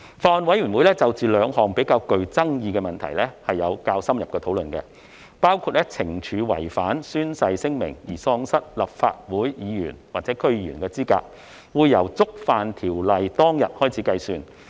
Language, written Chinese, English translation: Cantonese, 法案委員會就兩項較具爭議的問題作出了較深入的討論，包括懲處違反宣誓聲明而喪失立法會議員或區議員資格，會由觸犯條例當天開始計算。, The Bills Committee has conducted in - depth discussions on two controversial issues one of which was the punishment against disqualification from holding the office of a member of the Legislative Council or DC on the ground of breach of oath will start from the date of breach